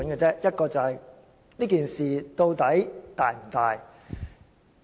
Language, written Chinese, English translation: Cantonese, 第一，究竟事件是否嚴重？, Firstly is this a serious incident?